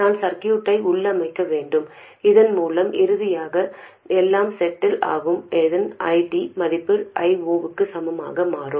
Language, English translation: Tamil, I should configure the circuit so that finally when everything settles down this value of ID should become equal to I 0